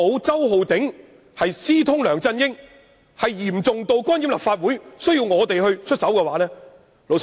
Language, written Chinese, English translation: Cantonese, 周浩鼎議員私通梁振英，嚴重至干預立法會，才需要我們出手。, It is only that the collusion between Mr Holden CHOW and LEUNG Chun - ying is so serious as to interfere with the Legislative Council that we need to take action